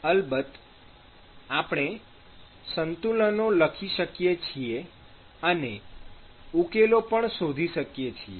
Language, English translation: Gujarati, Of course, we can write the balances and we can find the solutions